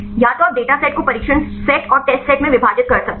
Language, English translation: Hindi, Either you can divide the dataset into training set and the testset